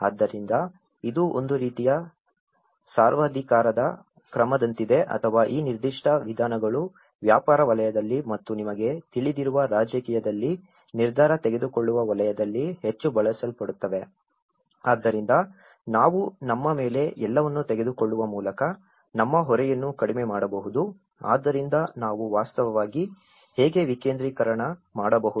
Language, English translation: Kannada, So, it is like a kind of dictatorial order or because this particular approaches are very much used in the business sector and also the decision making sector in the politics you know, so this is how we can actually reduce our burden taking everything on our own so how we can actually decentralized